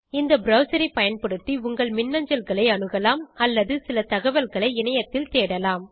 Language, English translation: Tamil, Using this browser, you can access your emails or search for some information on the net